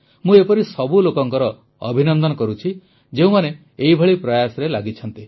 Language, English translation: Odia, I extend my greetings to all such individuals who are involved in such initiatives